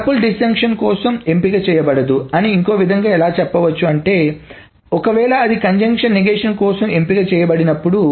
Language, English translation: Telugu, So other way round is saying is that a tuple is not selected for this disjunction if it is selected for the negation of those conjunctions